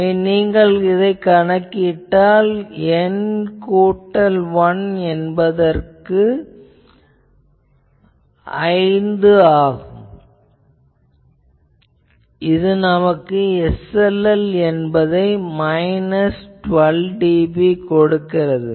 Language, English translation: Tamil, So, if you calculate, then for N plus 1 is equal to 5, we get SLL is minus 12 dB